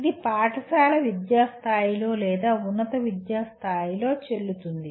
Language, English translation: Telugu, This is valid at school education level or at higher education level